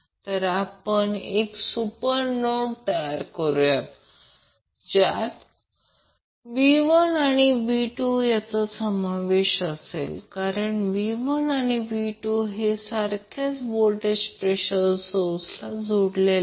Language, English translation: Marathi, So what we can do, we can create 1 super node, which includes V 1 and V 2, because these V 1 and V 2 are connected through some voltage source